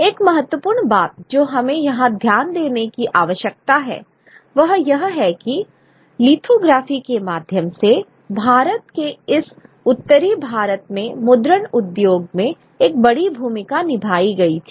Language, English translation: Hindi, An important point which we need to note here is that a large role was played in the printing industry in this northern part of India through lithography